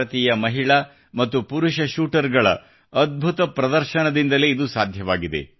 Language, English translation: Kannada, This was possible because of the fabulous display by Indian women and men shooters